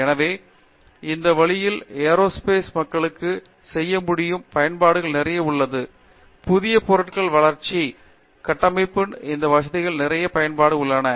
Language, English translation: Tamil, So, that way there is a lot of applications that aerospace people can do like, development of new materials, smart structures these things have a lot of applications